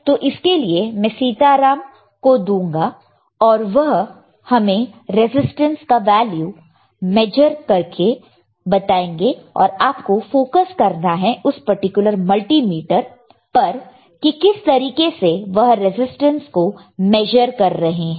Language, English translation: Hindi, So, for that I will give it to Sitaram, and let him measure the resistance, and you can you focus on this particular multimeter, how he is measuring the resistance, all right